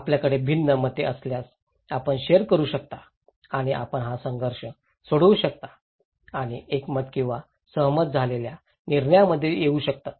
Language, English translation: Marathi, If you have different opinions, you can share and you can resolve this conflict and come into consensus or agreed decisions